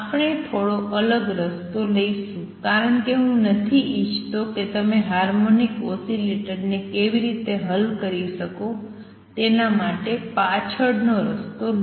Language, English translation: Gujarati, We are going to take a slightly different route because I do not want you to get walked down on how to solve for anharmonic oscillator